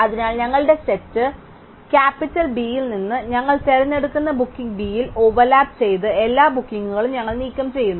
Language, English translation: Malayalam, So, we remove from our set capital B, all the bookings which overlapped with the booking b that we just choose